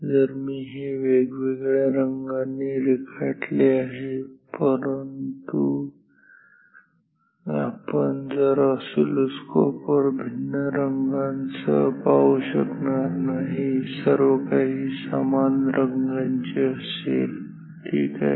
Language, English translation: Marathi, Although, I have drawn it with different colours, but you will not see with different colours on a in a oscilloscope everything will be of same colour ok